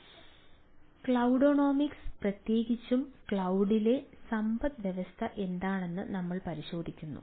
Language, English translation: Malayalam, so, cloud cloudonomics, ah, specifically, what economy in cloud